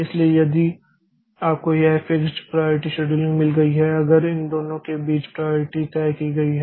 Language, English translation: Hindi, So, if we have got this fixed priority scheduling between the priority is fixed between these two